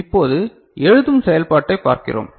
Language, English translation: Tamil, Now, how the write operation takes place